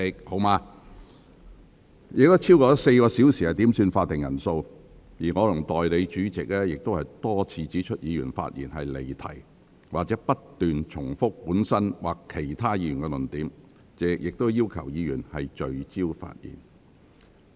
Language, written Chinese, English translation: Cantonese, 本會共花了超過4小時點算會議法定人數，而我和代理主席亦多次指出議員發言離題或不斷重複本身或其他議員的論點，並要求議員聚焦發言。, This Council has spent more than 4 hours on headcounts . The Deputy President and I have pointed out time and again that Members have digressed or they have persisted in repetition of their own or other Members arguments; and we have asked them to focus their speeches on the subject matter